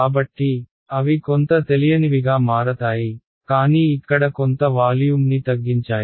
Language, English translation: Telugu, So, they will become the new unknowns, but what have done is punctured out some volume over here